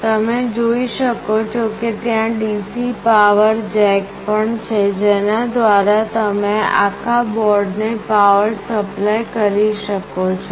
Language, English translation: Gujarati, You can see there is also a DC power jack through that you can power this entire board